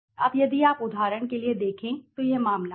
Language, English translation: Hindi, now if you see for example this is the case